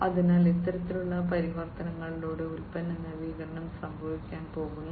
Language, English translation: Malayalam, So, product innovation is going to happened through this kind of transformations